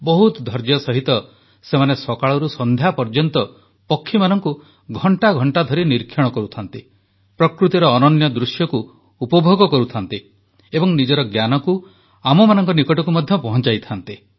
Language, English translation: Odia, With utmost patience, for hours together from morn to dusk, they can do bird watching, enjoying the scenic beauty of nature; they also keep passing on the knowledge gained to us